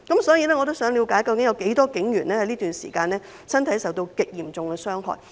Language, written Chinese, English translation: Cantonese, 所以，我也想了解，究竟這段時間有多少名警員的身體受到極嚴重傷害？, Therefore I would also like to know how many police officers have suffered egregious bodily harm during this period